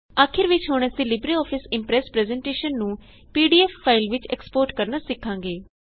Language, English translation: Punjabi, Finally we will now learn how to export a LibreOffice Impress presentation as a PDF file